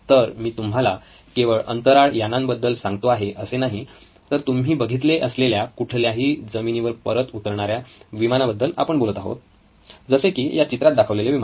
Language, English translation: Marathi, So, I am going to describe to you not only about space shuttle but also about any aeroplane that you probably have seen landing on a runway like what you see in your picture